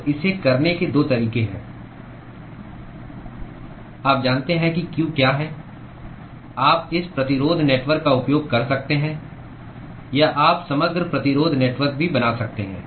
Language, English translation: Hindi, So there are 2 ways of doing it : you know what q is, you could use this resistance network ; or you can draw overall resistance network also